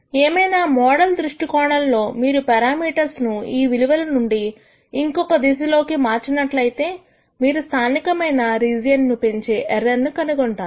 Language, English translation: Telugu, However, from the model viewpoint if you were to change the parameters from this value in any direction you change, you will be finding out that the error actually increases in the local region